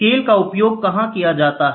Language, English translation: Hindi, Scales, where are the scales used